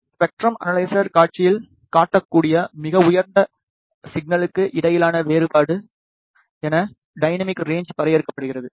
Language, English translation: Tamil, Dynamic range is defined as the difference between the highest signal that can be displayed on to the spectrum analyzer display